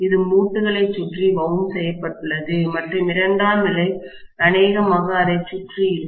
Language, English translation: Tamil, It is wound around the limb and the secondary is going to be probably around that as well